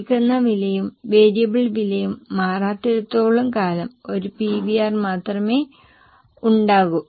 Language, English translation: Malayalam, Unless and until the selling price and variable costs don't change, there will be only one PVR